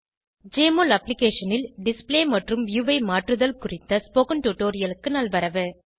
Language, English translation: Tamil, Welcome to this tutorial on Modify Display and View in Jmol Application